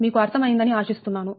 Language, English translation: Telugu, so i hope you have understood this, right